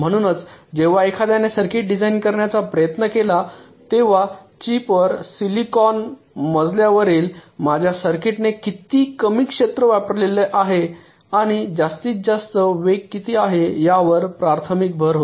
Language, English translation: Marathi, so when someone try to design a circuit, a chip, the primary emphasis was how much less area is occupied by my circuits on the chip, on the silicon floor, and what is the maximum speed